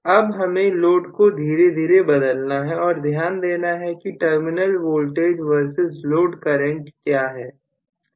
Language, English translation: Hindi, Now, I have to slowly vary the load note down what is the terminal voltage versus load current